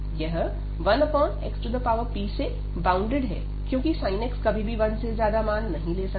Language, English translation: Hindi, And this is bounded by 1 over x power p, because the sin x will never take value greater than 1